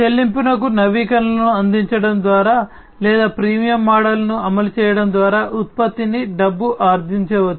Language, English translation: Telugu, The product can be monetized by providing paid updates or by implementing a freemium model